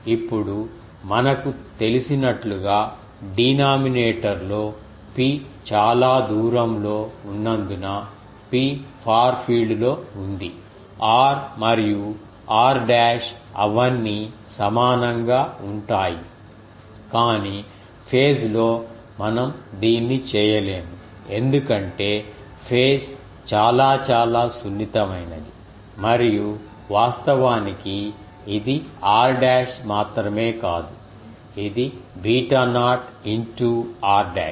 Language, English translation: Telugu, Now, in the as we know that in the ah denominator, we can since P is far away P is in the far field r and r dash they are all equal, but we cannot do this here in the phase part, because phase is very much sensitive and actually it is not only r dash it is beta naught into r dash